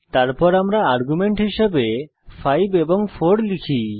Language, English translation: Bengali, Then we pass the parameters as 5 and 4